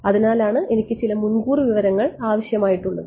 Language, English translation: Malayalam, So, that is why I need some a priori information